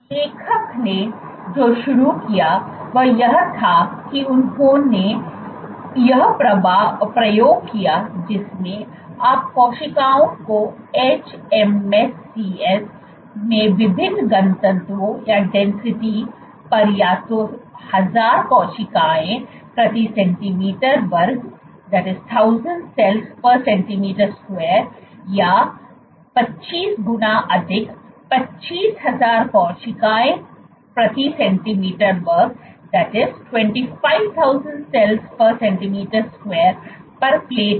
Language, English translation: Hindi, What the author started off was they did this experiments in which you cultured cells hMSCS where plated at different densities either at 1000 cells per centimeter square or 25 times higher, 25000 cells per centimeter square